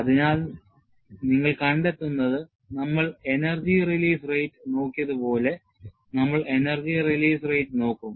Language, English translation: Malayalam, So, what you will find is, like we have looked at energy release rate, we will also look at energy release rate